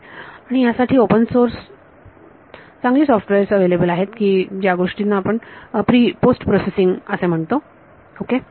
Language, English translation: Marathi, And there are good software in the open source for doing this is called post processing ok